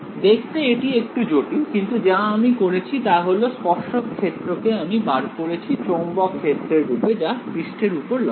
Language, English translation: Bengali, So, it looks a little complicated, but all I have done is have extracted the tangential field in terms of the magnetic field and the normal to the surface